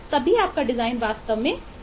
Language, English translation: Hindi, only then your design would become really effective